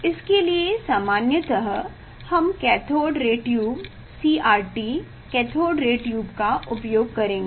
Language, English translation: Hindi, this you have a generally we will use cathode ray tube, CRT cathode ray tube it gives the in cathode ray tube what is there